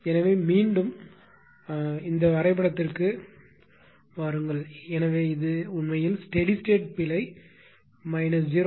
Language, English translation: Tamil, So, ah ; so, ah come to this diagram again; so, ah this is actually the steady state error minus 0